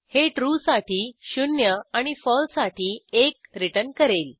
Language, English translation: Marathi, * It returns 0 Zero for True and 1 One for False